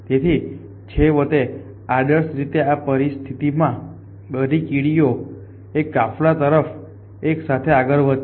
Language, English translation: Gujarati, So, in the end ideally like in this situation if all the ants of moving along like 1 caravan